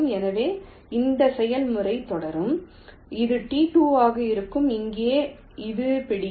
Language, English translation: Tamil, ok, this will be t two, and here it will like this